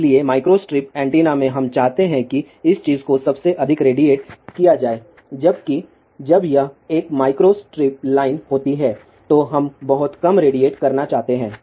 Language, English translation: Hindi, So, in micro strip antennas we want most of this thing to radiate whereas, when it is a micro strip line we want very little to radiate